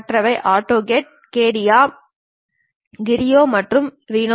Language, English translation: Tamil, The others are AutoCAD, CATIA, Creo and Rhino